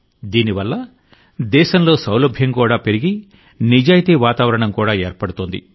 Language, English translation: Telugu, Due to this, convenience is also increasing in the country and an atmosphere of honesty is also being created